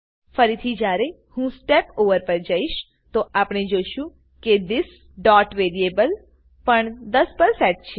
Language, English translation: Gujarati, When I Step Over again, we can see that this.variable is also set to 10